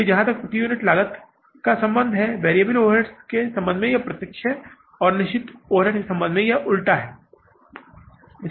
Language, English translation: Hindi, So, the relationship as far as the per unit cost is concerned, it is direct with regard to the variable overheads and it is inverse with regard to the fixed overheads